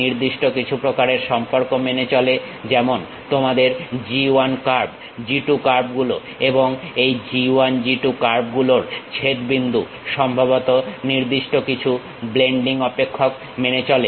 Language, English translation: Bengali, It satisfies certain kind of relations like your G 1 curve, G 2 curves and the intersection of these G 1, G 2 curves supposed to satisfy a certain blending functions